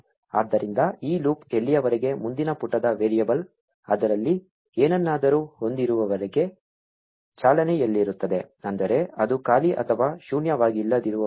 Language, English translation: Kannada, So, this loop will keep running as long as the next page variable has something in it, meaning as long as it is not blank or null